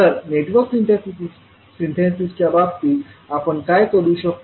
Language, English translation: Marathi, So in case of Network Synthesis what we will do